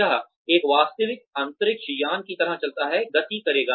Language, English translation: Hindi, That moves like a real space shuttle, would move